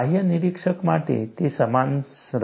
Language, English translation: Gujarati, For a external observer, it will remain identical